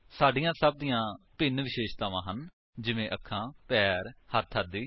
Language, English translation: Punjabi, We all have different properties like eyes, legs, hands etc